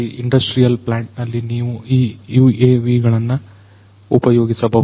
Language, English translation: Kannada, , in an industrial plant, you know you could use these UAVs